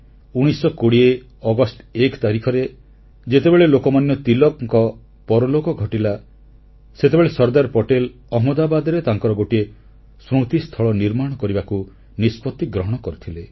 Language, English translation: Odia, When on August 1 1920, Lok Manya Tilakji passed away, Patel ji had decided then itself that he would build his statue in Ahmedabad